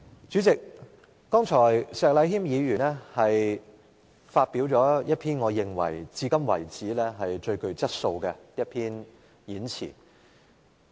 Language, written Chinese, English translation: Cantonese, 主席，石禮謙議員剛才發表了一篇我認為是至今最具質素的演辭。, President the speech just given by Mr Abraham SHEK is in my view the best so far